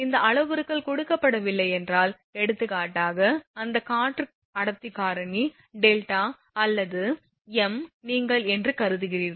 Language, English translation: Tamil, If this parameters are not given, for example, that air density factor delta or m you assume they are unity